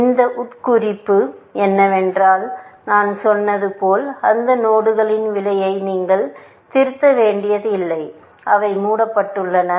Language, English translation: Tamil, The implication of this, as I said is that you do not have to revise the cost of those nodes, which have been put into closed